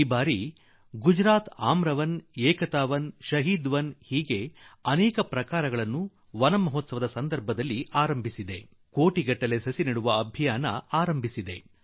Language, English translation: Kannada, This year Gujarat has undertaken many projects like 'Aamra Van', 'Ekata Van' and 'Shaheed Van' as a part of Van Mahotsav and launched a campaign to plant crores of trees